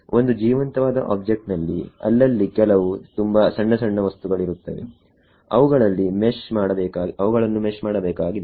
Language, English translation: Kannada, A real life object will have some very tiny tiny things here and there which need not be meshed